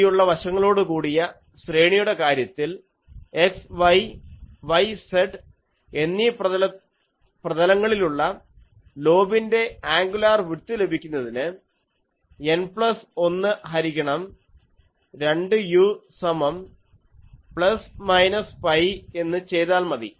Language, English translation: Malayalam, In the in the case of a broad side array, the angular width of the lobe in the x y and y z planes is obtained by setting N plus 1 by 2 u is equal to plus minus pi, and so this is in the x y plane